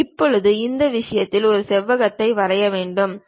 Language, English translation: Tamil, Now, I would like to draw a rectangle on this plane